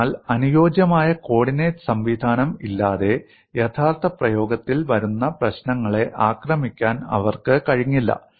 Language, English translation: Malayalam, So without suitable coordinate system, they were unable to attach problems that come across in actual practice